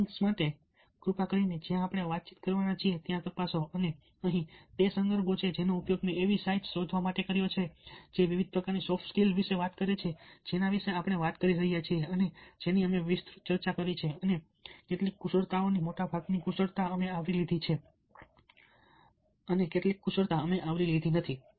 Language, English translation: Gujarati, so for these links, please check the discussion forum, and here are the reference that i have used to search for sights which talk about various kinds of soft skills that we were talking about and which we have discussed elaborately, and some of the skills, the majority of the skills we have covered, and some skills were not covered and we were all like to thank you